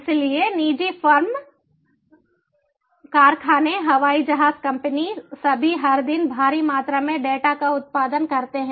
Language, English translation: Hindi, so the private firms, factories, aeroplane companies they all produce huge volumes data every day